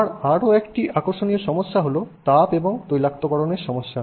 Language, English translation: Bengali, Again, another interesting problem with respect to heat and lubrication